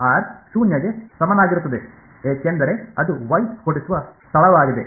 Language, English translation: Kannada, r is equal to 0 because that is the point where Y is going to blow up ok